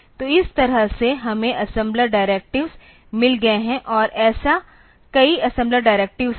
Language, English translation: Hindi, So, that way we have got assembler directives and there are many such assembler directives say